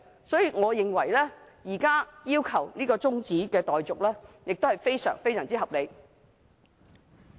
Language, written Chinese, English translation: Cantonese, 所以，我認為現時要求中止待續，非常合理。, Therefore I consider it very reasonable to request an adjournment now